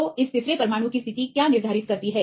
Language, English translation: Hindi, So, what determines the position of this third atom